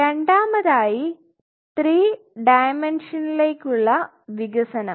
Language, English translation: Malayalam, From 2 dimension to 3 dimension